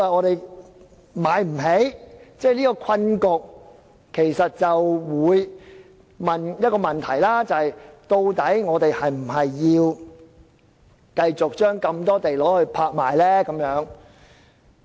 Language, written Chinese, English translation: Cantonese, 對於這個困局，大家會問的問題是，究竟我們是否要繼續將大量土地拍賣呢？, In view of this predicament we cannot but ask whether or not the sale of sites in a large number by auction should be continued